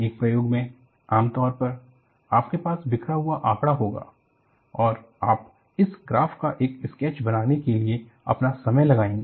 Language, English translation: Hindi, So, in an experiment, normally, you will have scatter of data and you take your time to make a sketch of this graph